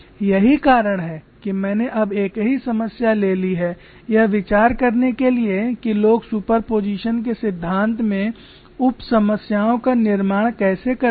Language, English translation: Hindi, The reason why I have taken the same problem is to get the idea of how people construct sub problems in principle of superposition